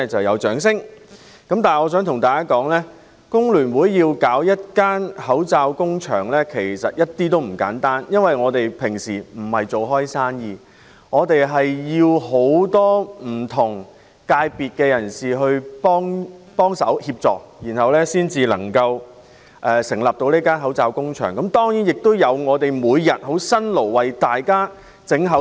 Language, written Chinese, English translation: Cantonese, 我想告訴大家，工聯會設立口罩工場，其實一點也不簡單，因為我們沒有營商經驗，需要很多不同界別人士協助，才能設立口罩工場，還要有義工每天辛勞地製造口罩。, I would like to tell Members that it is really not easy for FTU to set up a mask factory because we have no experience in running business . We can only set up a mask factory with the assistance of people from different sectors and there are also volunteers toiling day after day to produce masks